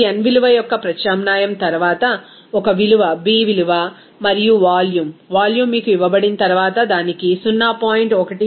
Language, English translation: Telugu, You can say that after the substitution of these n value, a value, b value, and also volume, volume is given to you, it is given 0